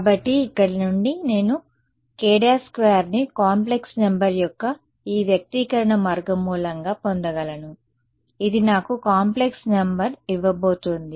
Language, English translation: Telugu, And so, from here I can get k prime as a square root of this expression square root of a complex number is going to give me a complex number ok